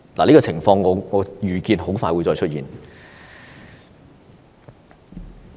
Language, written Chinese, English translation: Cantonese, 這種情況，我預見會很快再出現。, I anticipate that this kind of situation will happen again very soon